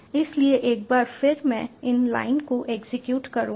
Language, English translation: Hindi, so once again i will execute these lines